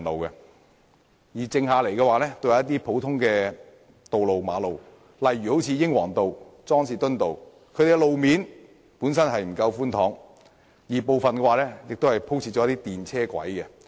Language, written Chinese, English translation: Cantonese, 他們只能使用一些普通的道路或馬路如英皇道和莊士敦道，路面本身不夠寬闊，而部分道路更已鋪設電車軌。, They can only use such normal roads as Kings Road and Johnston Road . The roads are already narrow and some of them carry tram tracks